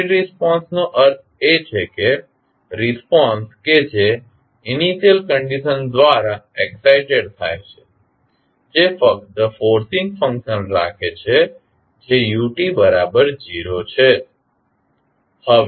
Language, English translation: Gujarati, Free response means the response that is excited by the initial conditions only keeping the forcing function that is ut equal to 0